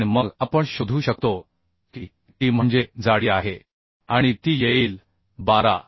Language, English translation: Marathi, 45 fck And then we can find out t that is thickness and that will be is coming 12